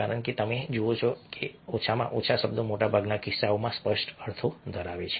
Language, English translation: Gujarati, because you see that a, at least words, in most cases have tear meanings